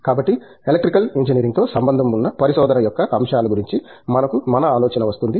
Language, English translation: Telugu, So, we will get an idea of aspects of research associated with Electrical Engineering